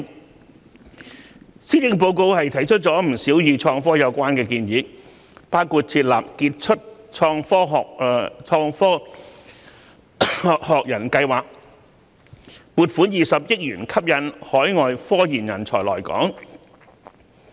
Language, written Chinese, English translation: Cantonese, 為此，施政報告提出了不少與創科有關的建議，包括設立傑出創科學人計劃，撥款20億元吸引海外科研人才來港。, In this connection the Policy Address has put forward many initiatives concerning innovation and technology including launching a Global STEM Professorship Scheme at a cost of 2 billion to attract research and development talents working overseas to come to Hong Kong